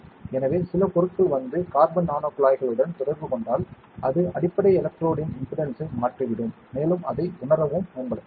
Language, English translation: Tamil, So, if some material comes and interacts with the carbon nanotubes, it will change the impedance of the underlying electrode and that can be used for sensing